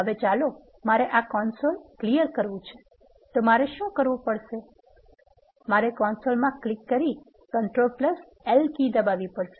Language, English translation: Gujarati, Now, let us say suppose I want to clear this console what I have to do is I have to click here and I have to enter the key combination control plus L